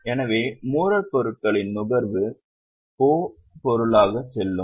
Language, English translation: Tamil, So, consumption of raw materials will go as a O item